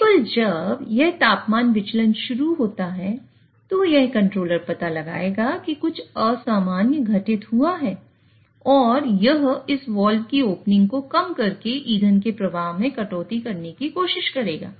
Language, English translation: Hindi, Only when this temperature starts to deviate, this controller will detect that something abnormal has happened and it will try to cut down on the fuel flow by reducing the opening of this wall